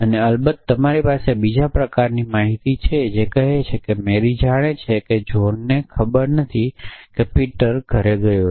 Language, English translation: Gujarati, And off course, you can I have all kinds of thing you can say Mary knows that John does not know that peter has gone home or all kind of statement